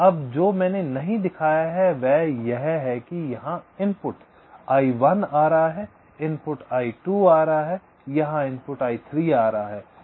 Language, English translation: Hindi, now, what i have not shown is that here, the input i one is coming here, the input i two is coming here, the input i three is coming